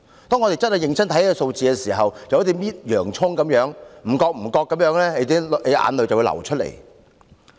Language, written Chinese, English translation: Cantonese, 當我們認真看這些數字時，便會像在剝洋蔥，眼淚不知不覺流出來。, When we look at these numbers seriously we will be like peeling onion and tears will flow out unconsciously